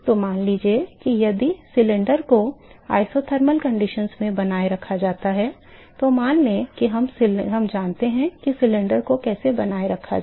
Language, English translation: Hindi, So, suppose if the cylinder is maintained under isothermal conditions let say we know how to maintain the cylinder